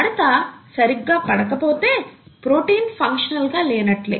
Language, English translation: Telugu, If that doesnÕt fold properly, then the protein will not be functional